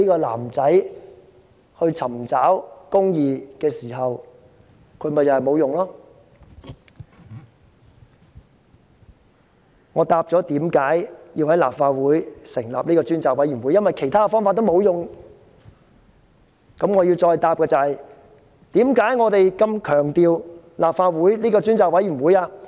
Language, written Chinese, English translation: Cantonese, 我剛剛解釋了為何要在立法會成立專責委員會，原因是其他渠道全部無效。我接着要解釋我們何以如此看重立法會這個專責委員會。, After explaining why the Legislative Council should set up a select committee as all other channels are ineffective I will now proceed to explain why we are so keen to appoint a select committee under the Council